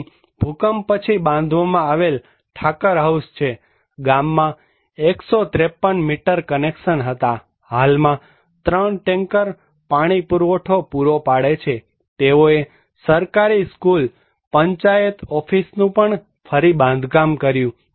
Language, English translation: Gujarati, Here is the Thakar house built after earthquake, there were 153 meter connections in the village, presently three tankers of providing water supply, they reconstructed government reconstructed the school, panchayat office was reconstructed also, religious buildings were reconstructed